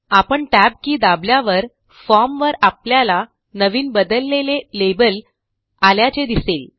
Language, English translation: Marathi, As we press the tab key, we will notice the new label changes on the form